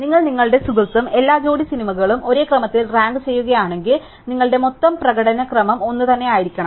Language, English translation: Malayalam, So, if you and your friend rank every pair of movies in the same order, then your total order of performances must be the same